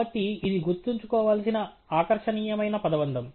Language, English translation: Telugu, So, it is just a catchy phrase to remember